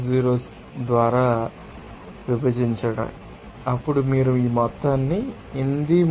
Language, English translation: Telugu, 06 then you can get this simply this amount of 833